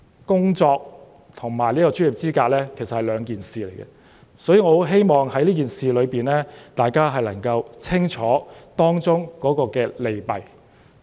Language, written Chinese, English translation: Cantonese, 工作跟專業資格是兩碼子事，所以我希望大家能夠弄清這件事的利弊。, Work and professional qualification are two different things so I hope that Members can weigh the pros and cons of this proposal